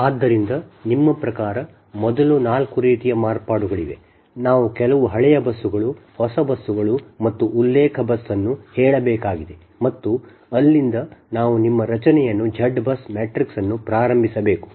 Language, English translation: Kannada, that for your question is: first is your, we have to say some old busses, new busses and the reference bus, and from there we have to start the construct, your forming that z bus matrix